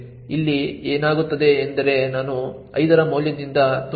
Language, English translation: Kannada, What would happen over here is that i would be filled with the value of 5